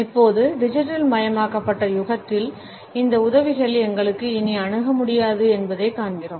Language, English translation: Tamil, Now, we find that in the digitalised age, these aids are not any more accessible to us